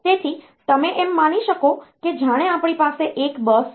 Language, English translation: Gujarati, So, you can assume that as if we have a bus